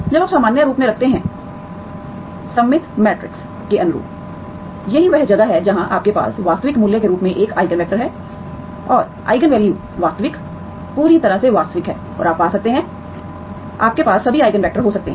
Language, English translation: Hindi, When you put in the normal form, analogous to the symmetric matrices, that is where you have the eigenvalues an Eigen vectors as a real values and eigenvalues are real, completely real and you can find, you can have all the Eigen vectors